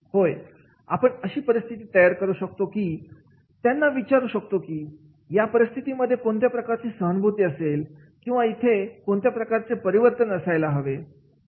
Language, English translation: Marathi, Yes, we can give the situations and then ask them that is in a given situation what type of the empathy or reflection is to be there